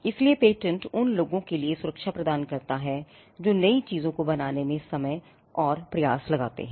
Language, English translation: Hindi, So, patents grant a protection for people who would invest time and effort in creating new things